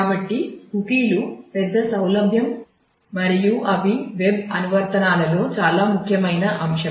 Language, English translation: Telugu, So, cookies are a big convenience and they are very important factor of the web applications